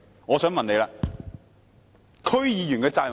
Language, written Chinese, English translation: Cantonese, 我想問她，區議員的責任是甚麼？, May I ask her what the responsibility of DC members is?